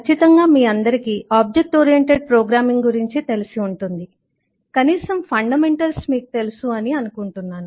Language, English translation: Telugu, () are familiar with object oriented programming, at least I assume that you know glimpses of that